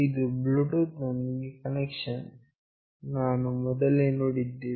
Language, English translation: Kannada, This is the connection with Bluetooth, we have already seen